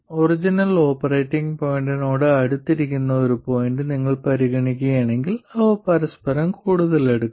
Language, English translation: Malayalam, And if you consider a point that is closer to the original operating point, they will be even closer to each other